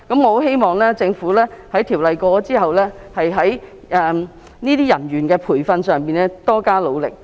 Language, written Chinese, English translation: Cantonese, 我希望《條例草案》獲通過後，政府日後在培訓有關人員方面多加努力。, I hope that upon passage of the Bill the Government will put in extra effort on training the persons concerned